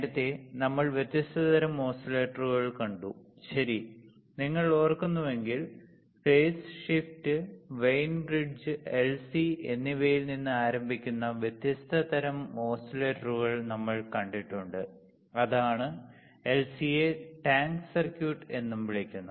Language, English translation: Malayalam, Earlier, we have seen different kind of oscillators, right, if you remember, we have seen different kind of oscillators starting from phase shift, Wein bridge, LC and that is LC is also called tank circuit